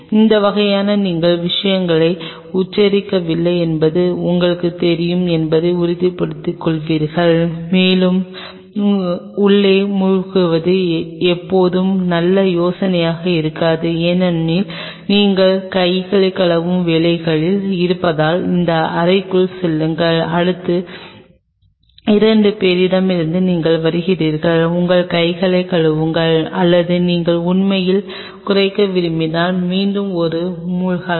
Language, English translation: Tamil, That way you will be ensuring that you know you are not spelling out things and it is always a good idea to have another sink inside may not be a bad idea because you are working on a wash your hands and you know go to the next room, or you are coming from the next one two inside wash your hands or if you want to really minimize you can have one sink the again